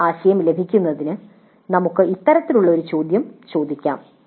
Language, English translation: Malayalam, To get that idea we can ask this kind of a question